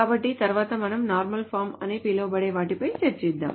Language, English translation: Telugu, So next we will go over something called the normal forms